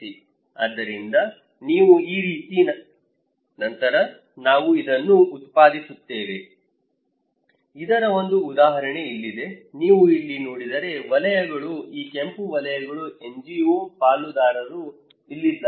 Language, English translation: Kannada, So, if you; then we generate this; here is an example of this one, if you look into here, the circles are the; this red circles are the NGO partners